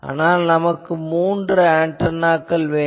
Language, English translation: Tamil, Now if that is not there, then we have three antenna methods